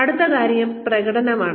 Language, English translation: Malayalam, The next thing, that comes is performance